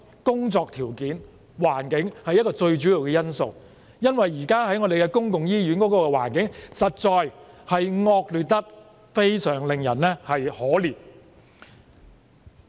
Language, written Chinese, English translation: Cantonese, 工作條件和環境當然是最主要的因素，因為現時公立醫院的環境實在是惡劣至令人感到可憐。, The working conditions and environment are certainly the most crucial factors because the current conditions of public hospitals are indeed pathetically appalling